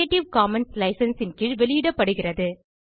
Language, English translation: Tamil, Spoken tutorials are released under creative commons license